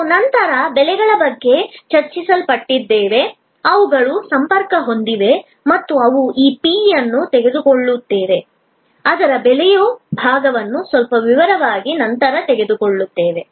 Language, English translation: Kannada, We are then of course discussed about prices, which are linked and we will take up this p, the price part in little detail later